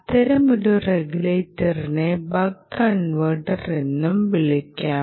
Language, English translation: Malayalam, such a regulator can also be called the buck converter, right, buck converter